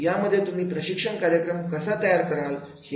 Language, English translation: Marathi, That is how you have designed your training program